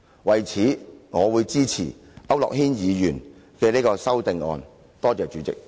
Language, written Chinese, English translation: Cantonese, 為此，我會支持區諾軒議員的修正案。, For this reason I will support Mr AU Nok - hins amendment